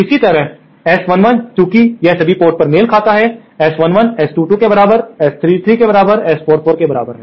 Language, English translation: Hindi, Similarly S 11, since it is matched at all ports, S 11 is equal to S 22 is equal to S 33 is equal to S 44